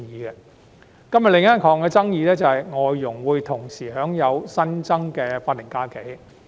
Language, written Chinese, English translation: Cantonese, 今天的另一項爭議，是外籍家庭傭工會同時享有新增的法定假日。, Another controversy today is the entitlement of the additional SHs on foreign domestic helpers FDHs